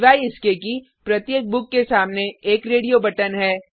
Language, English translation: Hindi, Except that we have a radio button against each book